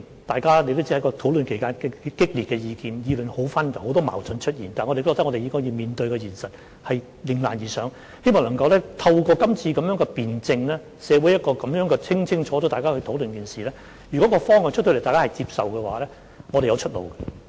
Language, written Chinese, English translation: Cantonese, 大家也知道，在討論期間提出的意見很激烈，意見紛紜，出現很多矛盾，但我認為我們應面對現實，迎難而上，希望能夠透過今次的辯證，在社會上清楚地討論這一件事，如果在公布方向後，大家也接受，我們便會有出路。, As we all know the views expressed during the discussion period were quite strong and diverse so there were many conflicting views but I think we should face the reality and rise to the challenges . It is hoped that through the debate this time around this matter can be discussed thoroughly in society . If all parties accept the direction after it has been announced we will have a way out